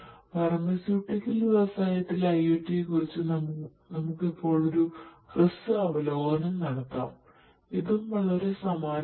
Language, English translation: Malayalam, So, let us now take a brief look at IoT in the pharmaceutical industry, this is also very similar